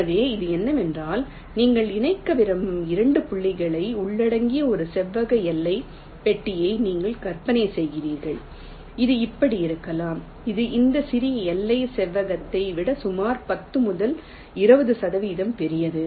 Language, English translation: Tamil, so what it says is that you imaging a rectangular bounding box which encloses the two points that you want to connect may be like this, which is, say, approximately ten to twenty percent larger than this smallest bounding rectangle